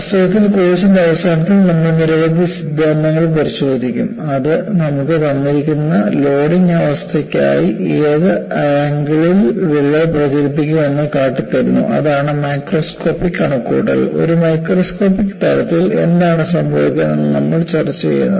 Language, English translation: Malayalam, In fact, towards the end of the course, we would look at several theories, which would give you, at what angle, the crack will propagate for a given loading condition that is the macroscopic calculation; at a microscopic level, what happens is, what we are discussing